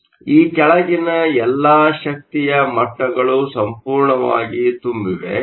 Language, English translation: Kannada, So, all the energy levels below this are completely full